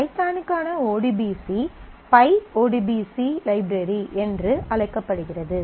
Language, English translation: Tamil, So, python for this the ODBC for python is known as pyODBC library